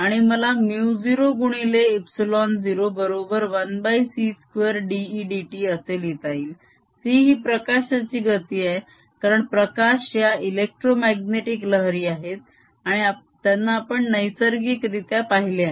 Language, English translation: Marathi, and let me write mu zero times epsilon zero, as one over c square: d, e, d t, where c is the speed of light, because light is electromagnetic wave and seen naturally into all this